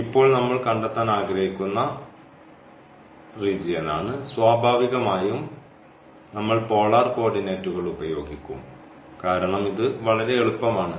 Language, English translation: Malayalam, So, this is the region we want to find the area now, and naturally we will use the polar coordinates because this is again much easier